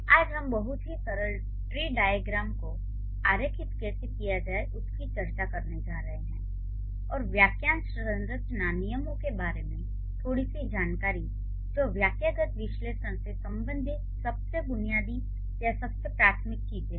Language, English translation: Hindi, So, today we are going to discuss how to draw tree diagrams of very simple sentences and a bit of information about the phrase structure grammar or the phrase structure rules which are the most basic or the most rudimentary things related to syntactic analysis